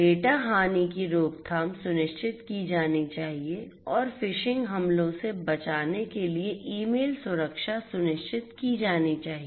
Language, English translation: Hindi, Data loss prevention should be ensured and email security should be ensured to protect against phishing attacks